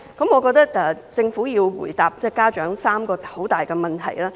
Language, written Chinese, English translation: Cantonese, 我認為政府要回答家長3項很大的問題。, I hold that the Government has to answer three broad questions from parents